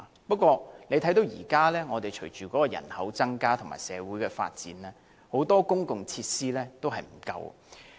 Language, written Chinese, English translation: Cantonese, 不過，隨着人口增加和社會發展，現時很多公共設施已不足夠。, However given population growth and social development many public facilities are already inadequate